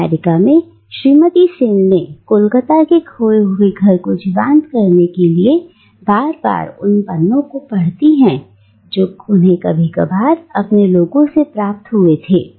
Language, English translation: Hindi, In America Mrs Sen tries to recreate that lost home of Calcutta by repeatedly re reading the letters that she occasionally receives from her people back home